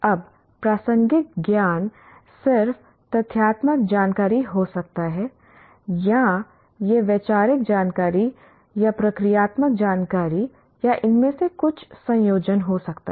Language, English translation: Hindi, Now the relevant knowledge can be just factual information or it could be conceptual information or a procedural information or some combination of this